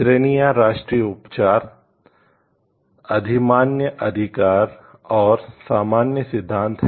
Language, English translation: Hindi, The categories are national treatment, priority rights and, common rules